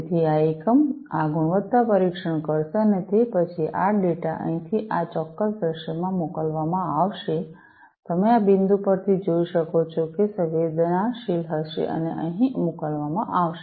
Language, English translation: Gujarati, So, this unit is going to do this quality testing, and then this data is going to be sent from here in this particular scenario, as you can see from this point it is going to be sensed and sent over here